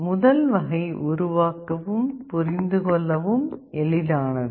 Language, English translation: Tamil, Now the point is that the first type is easier to build and understand